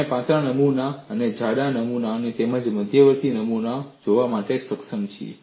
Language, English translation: Gujarati, We have been able to see for thin specimens, thick specimens as well as intermediate specimens